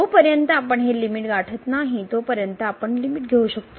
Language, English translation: Marathi, We can take the limit till the time we achieve this limit